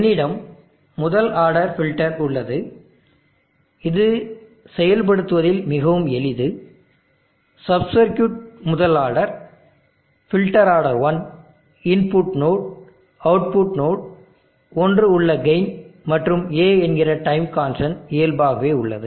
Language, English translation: Tamil, I have a first order filter, it is very simple in implementation sub circuit first order, filter order 1 input node, output node, gain of one and A time constant default one